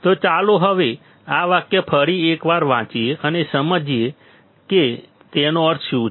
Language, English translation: Gujarati, So, now let us read this sentence once again and we will understand what does it mean